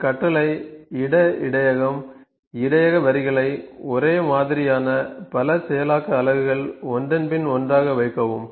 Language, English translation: Tamil, This command place buffer, place buffer lines a several processing units of the same kind one after the other